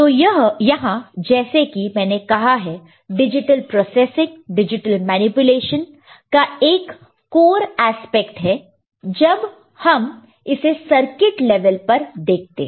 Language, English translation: Hindi, So, this is as I said is one of the core aspect of digital processing, digital manipulation, when you look at it at the circuit level